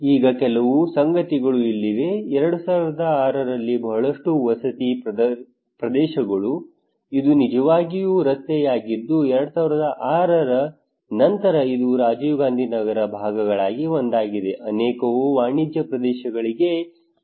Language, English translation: Kannada, Now here are some of the facts that in 2006 after 2006 lot of residential areas this is actually a road this is one of the fraction of the Rajiv Gandhi Nagar, many are transferred into commercial areas